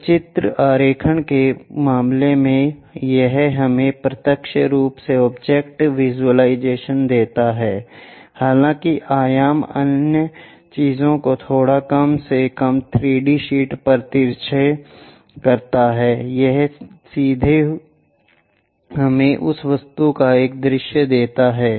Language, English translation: Hindi, In the case of pictorial drawing, it gives us directly the object visualization, though the dimensions other things slightly skewed at least on two d sheet, it straight away gives us visualization of that object